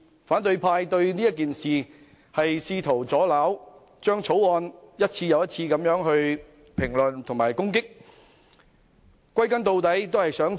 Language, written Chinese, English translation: Cantonese, 反對派試圖阻撓此事，一次又一次評論和攻擊《條例草案》。, In an attempt to block the process the opposition camp has time and again commented on and attacked the Bill